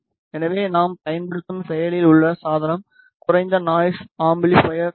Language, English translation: Tamil, So, the active device that we are using is low noise amplifier